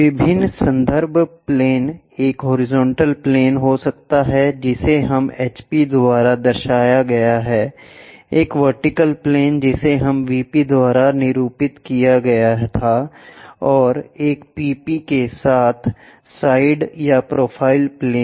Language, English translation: Hindi, The different reference planes can be a horizontal plane which we denoted by HP, a vertical plane we denoted by VP, and side or profile planes by PP